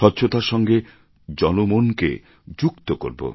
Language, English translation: Bengali, We shall connect people through cleanliness